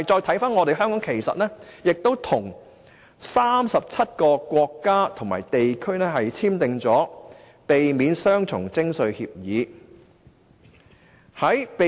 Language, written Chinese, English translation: Cantonese, 此外，香港已跟37個國家及地區簽訂避免雙重徵稅協議。, Besides Hong Kong has entered into Agreements for the Avoidance of Double Taxation with 37 countries or places